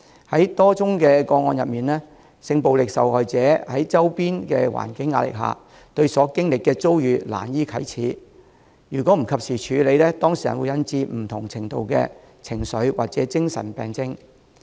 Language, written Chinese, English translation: Cantonese, 在多宗的個案中，性暴力受害人在周邊環境壓力下，對所經歷的遭遇難以啟齒，如果不及時處理，會引致當事人有不同程度的情緒或精神病症。, In many cases victims of sexual violence are too embarrassed to mention their experiences under the pressure from the surrounding environment . Failure to handle these cases in a timely manner will cause the victims to suffer from varying degrees of emotional or psychological disorders